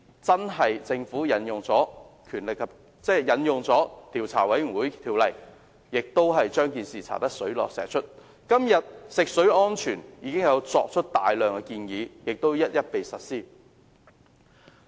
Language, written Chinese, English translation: Cantonese, 結果，政府確實引用了《調查委員會條例》將鉛水事件查個水落石出，時至今日，有關食水安全的大量建議已經一一實施。, The Government subsequently invoked the Commissions of Inquiry Ordinance to get to the bottom of the lead - in - water incident . Today the myriad of recommendations on drinking water safety have been implemented one after another